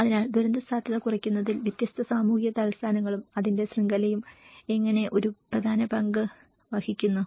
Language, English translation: Malayalam, So, how different social capitals and its network play an important role in reducing the disaster risk